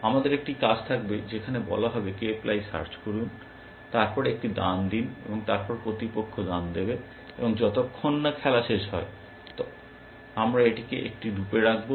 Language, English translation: Bengali, We will have an do in which will say, do k ply search, and then make a move, and then get opponents move, and we will put this into a loop, till the game ends